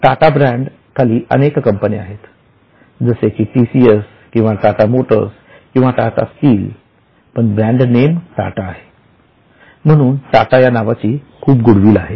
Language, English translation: Marathi, There are several companies under Tattas like TCS or Tata Motors or Tata Steel, but the brand name is Tata